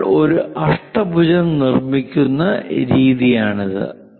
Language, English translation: Malayalam, This is the way we construct an octagon